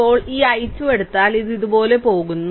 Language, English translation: Malayalam, Now, if you take this I 2, it is going like this going like this